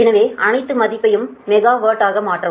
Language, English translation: Tamil, so substitute all the value and convert it to megawatt